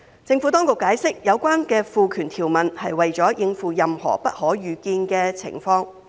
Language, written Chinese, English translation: Cantonese, 政府當局解釋，有關的賦權條文是為了應付任何不可預見的情況。, The Government has explained that the conferment provision is to cater for any unforeseen circumstances